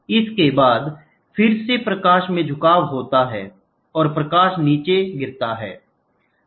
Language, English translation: Hindi, So, after this again there is a bending which is happening to the light, the light further hits down